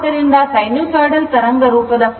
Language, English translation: Kannada, So, for sinusoidal waveform the form factor is 1